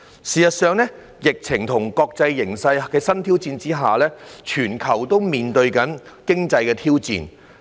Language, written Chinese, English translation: Cantonese, 事實上，在疫情和國際形勢的新挑戰下，全球正面對經濟挑戰。, In fact given the new challenges posed by the epidemic and the international situation the world is facing economic challenges